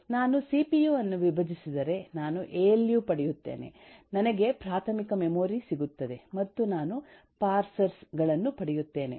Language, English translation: Kannada, if I break down a cpu alu, I will get eh, primary memory, I will get parsers